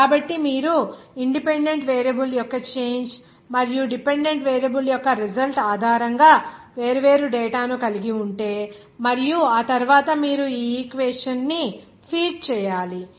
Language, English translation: Telugu, So if you have that the different data based on changing of the independent variable and its result of the dependent variable and after that, you have to feat this equation